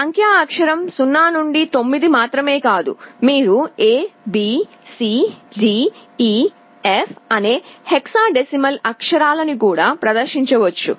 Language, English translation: Telugu, Not only the numeric character 0 to 9, you can also display the hexadecimal characters A, B, C, D, E, F